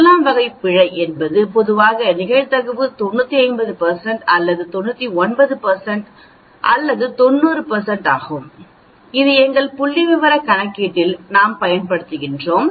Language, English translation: Tamil, So type 1 error, is generally the probability 95 % or 99 % or 90 % which we make use of in our statistical calculation